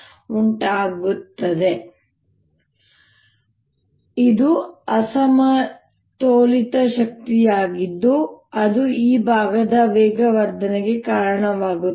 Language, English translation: Kannada, this delta two p is the unbalance force that actually gives rise to the acceleration of this portion